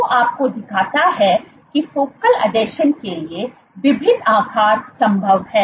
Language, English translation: Hindi, So, that shows you that there are various sizes possible for focal adhesions